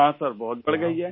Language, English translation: Hindi, Yes Sir, it has increased a lot